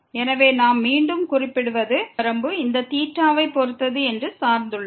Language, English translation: Tamil, So, what we observe again that this limit is depend on is depending on theta